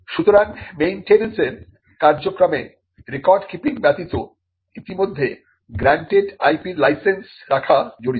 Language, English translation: Bengali, So, the maintenance function also involves apart from record keeping the licensing of the IP that is already granted